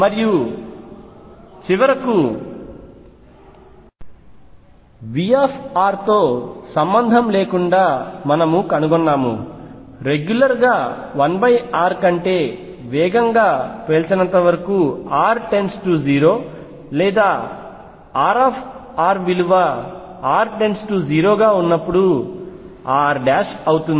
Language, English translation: Telugu, And, we finally found for irrespective of v r; as long as regular does not blow faster than 1 over r as r goes to 0 or R goes as r raised to l as r tends to 0